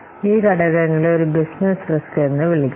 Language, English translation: Malayalam, So, these factors will be termed as a business risk